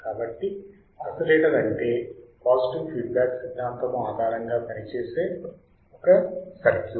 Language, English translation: Telugu, So, oscillator is a circuit that works on the principle of positive feedback